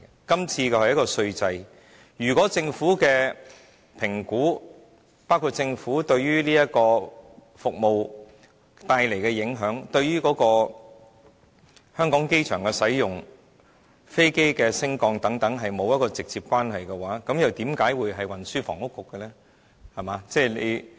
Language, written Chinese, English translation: Cantonese, 今次討論的是稅制，如果政府的評估，包括此服務帶來的影響、香港機場的使用、飛機升降等與該局是沒有一個直接關係的話，為何會是運輸及房屋局負責的範疇呢？, Why should it be under the purview of the Bureau if the discussion of the tax regime which includes the forecasts made by the Government on the impact of the services the usage of the Hong Kong airport and the aircraft movements is not directly related to the work of the Bureau?